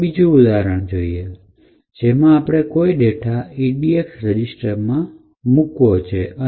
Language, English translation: Gujarati, So, let us start with the simple one where we want to move some data into the register edx